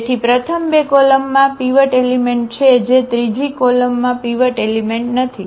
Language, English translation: Gujarati, So, the first two columns have pivot element that third column does not have pivot element